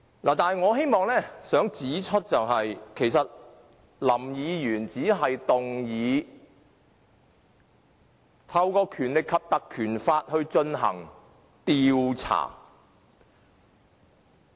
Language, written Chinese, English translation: Cantonese, 但是，我希望指出，林議員其實只是建議引用《立法會條例》進行調查。, But I must point out that Mr LAM merely proposed the invocation of the Legislative Council Ordinance to launch an inquiry